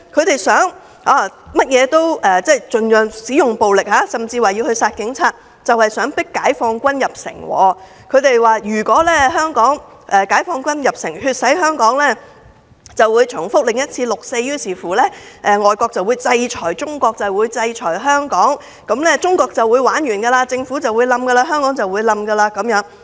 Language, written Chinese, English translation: Cantonese, 他們用盡暴力，甚至聲言要殺警察，就是想迫解放軍入城，以為解放軍入城血洗香港會重演六四，令外國制裁中國、制裁香港，屆時中國便"玩完"，政府會倒台，香港亦會倒下。, They resort to all kinds of violence and even declare that they will kill police officers thus forcing the Peoples Liberation Army into entering Hong Kong and resulting in bloodshed . They think that the recurrence of the June 4 Incident will lead to foreign sanctions against China and Hong Kong sounding the death knell for China the Government and Hong Kong